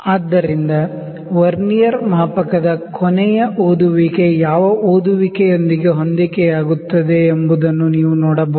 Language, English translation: Kannada, So, you can see that the last reading of the Vernier scale is coinciding with the reading which reading